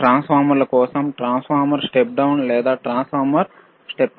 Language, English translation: Telugu, , are there rightFor transformers, step down transformer, or step up transformer